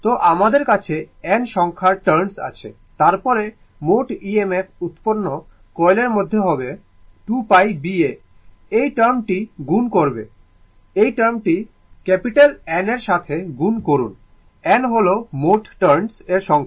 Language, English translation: Bengali, So, you have n number of turns right you have n number of turns, then total your EMF generated will be that in the coil will be 2 pi B A you multiply you multiply this term, you multiply this term by capital N, it N is the total number of turns say